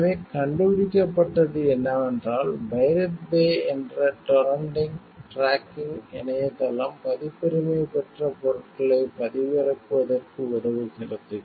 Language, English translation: Tamil, So, what the were found was that a torrent tracking website, which is pirate bay was assisting in downloading, copyrighted materials